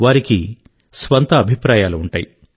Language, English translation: Telugu, It has its own set of opinions